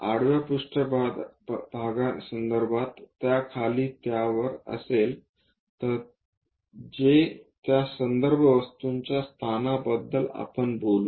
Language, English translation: Marathi, So, a horizontal plane above that below that we talk about position of reference position of that object